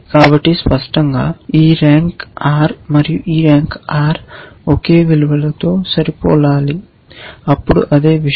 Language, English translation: Telugu, So obviously, this r and this r must match the same value then the same thing